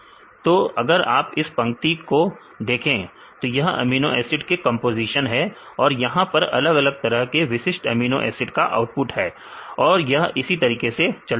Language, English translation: Hindi, So, this line if you see the actual this is the composition of the amino acids right, here this is the output for a specific different amino acids